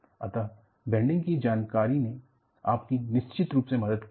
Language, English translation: Hindi, So, the knowledge of bending definitely helped